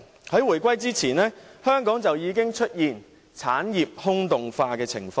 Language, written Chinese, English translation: Cantonese, 在回歸前，香港已經出現產業空洞化的情況。, Before the reunification Hong Kong already saw the hollowing out of industries